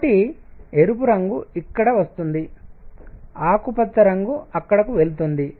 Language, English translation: Telugu, So, red color comes here green goes here